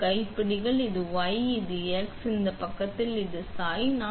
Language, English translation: Tamil, It is these knobs right here; this is a y, this is; the x is on this side and this is the tilt